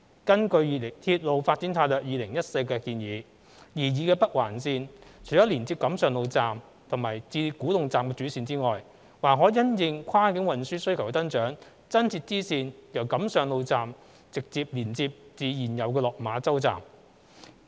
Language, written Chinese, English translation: Cantonese, 根據《鐵路發展策略2014》的建議，擬議的北環綫除了連接錦上路站至古洞站的主線外，還可因應跨境運輸需求的增長，增設支線由錦上路站直接連接至現有的落馬洲站。, According to the recommendations of the Railway Development Strategy 2014 besides the major railway line between the Kam Sheung Road Station and the new station at Kwu Tung a bifurcation may be added to the proposed NOL to directly connect the Kam Sheung Road Station and the existing Lok Ma Chau Station subject to the growth in the cross - boundary transport demand